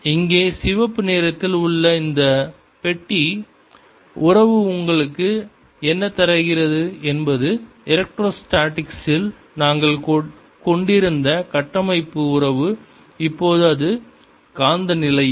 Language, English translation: Tamil, what this boxed relationship here in red is giving you is the constitutive relationship that we had in electrostatics